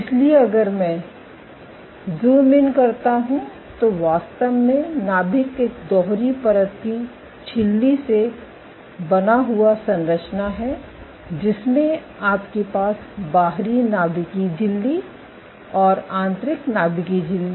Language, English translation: Hindi, So, if I zoom in so the nucleus actually has is a double membrane system you have outer nuclear membrane and inner nuclear membrane